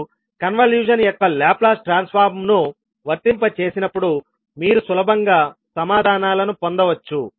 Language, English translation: Telugu, So with this you can simply see that when you apply the Laplace transform of the convolution you can easily get the answers